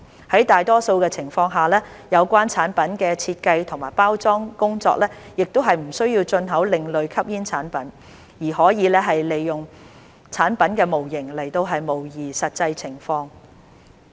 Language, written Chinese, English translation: Cantonese, 在大多數的情況下，有關產品的設計及包裝工作亦不需要進口另類吸煙產品，而可以利用產品模型來模擬實際情況。, In most cases the import of ASPs is not required for the design and packaging of the relevant products as product models can be used to simulate the actual situation